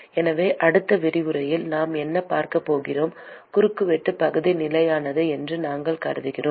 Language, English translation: Tamil, So, in the next lecture, what we are going to see is: we said we assume that the cross sectional area is constant